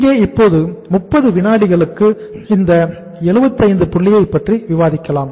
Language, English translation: Tamil, Here now I will discuss just for a uh 30 seconds this point that is 75